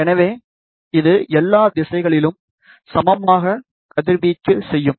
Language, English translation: Tamil, So, it will radiate equally in all the direction